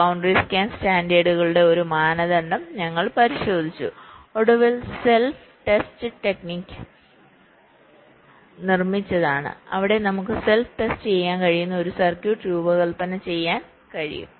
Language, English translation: Malayalam, we looked at one of the standards, the boundary scan standards, and finally built in self test technique where we can design a circuit such that it can test itself